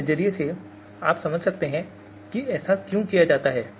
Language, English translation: Hindi, So from that point of view also you can understand why this